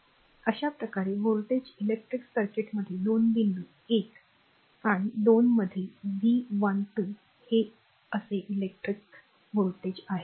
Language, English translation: Marathi, Thus the voltage say V 12 between 2 points, 1 and 2 in an electric circuit it is something like this suppose electric